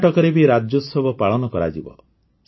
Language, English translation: Odia, Karnataka Rajyotsava will be celebrated